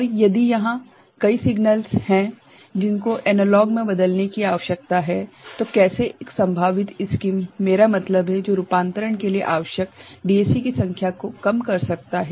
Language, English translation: Hindi, And, if there are multiple signals need to be converted to analog then how I mean one possible scheme, that can reduce the number of DAC that is required for the conversion